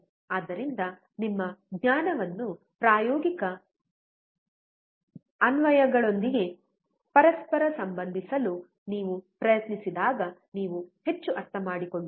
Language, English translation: Kannada, So, when you try to correlate your knowledge with a practical applications, you will understand more